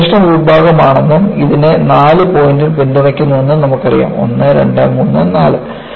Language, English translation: Malayalam, You know, this is the test section and this is supported by four points; one, two, three and four